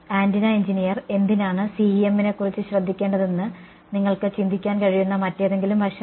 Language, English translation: Malayalam, Any other aspect you can think of why should us antenna engineer care about CEM